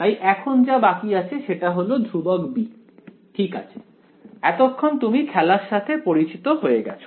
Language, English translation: Bengali, Now what remains is the constant b ok, by now you know the game